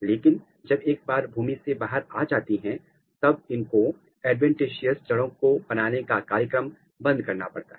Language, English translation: Hindi, But, once it is coming above ground it has to shut down the program of adventitious root development